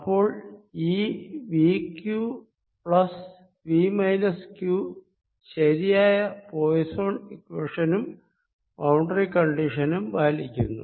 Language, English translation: Malayalam, so the combination v, q plus v minus q satisfies the correct poisson's equation and the correct boundary condition